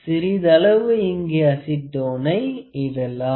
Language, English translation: Tamil, So, we have applied a little acetone here